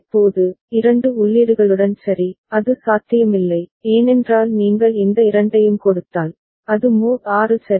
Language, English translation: Tamil, Now, with two inputs ok, it is not possible because if you give just these two, then it is mod 6 ok